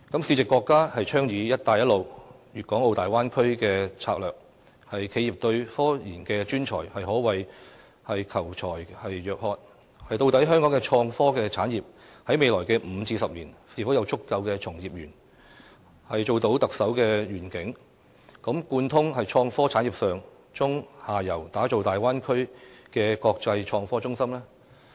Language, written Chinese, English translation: Cantonese, 時值國家倡議"一帶一路"和大灣區等策略，企業對科研專才可謂求才若渴，究竟香港的創科產業在未來5至10年會否有足夠的從業員，實現特首所提出"貫通創科產業的上、中、下游，打造大灣區的國際創科中心"的願景？, At a time when our country is advocating such strategies as the Belt and Road Initiative and the Bay Area enterprises are thirsting for RD professionals . Will Hong Kongs innovation and technology industries have enough practitioners in the next 5 to 10 years to realize the Chief Executives vision of connecting the upstream midstream and downstream sectors of innovation and technology industries thereby developing an international innovation and technology hub in the Bay Area?